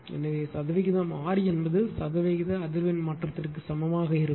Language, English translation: Tamil, So, percentage R is equal to percent frequency change by percent power output change into 100, right